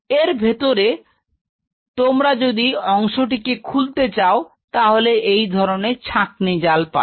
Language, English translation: Bengali, And inside if you open this part you will see the filter mesh